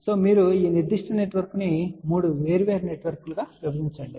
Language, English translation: Telugu, So, you divide this particular network into 3 different networks